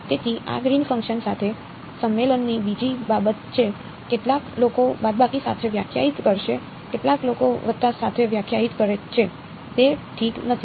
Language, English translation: Gujarati, So, that is another matter of convention with these greens function some people will define with a minus some people define with a plus does not matter ok